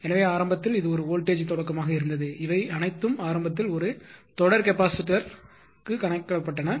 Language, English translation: Tamil, So, initially it was a flat voltage start all these things initially have been calculated a series capacitor